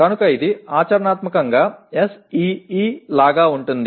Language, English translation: Telugu, So it is practically like SEE